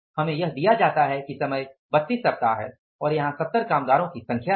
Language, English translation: Hindi, We are given the hours are like 32 weeks is the time and here it is the 70 is the number of workers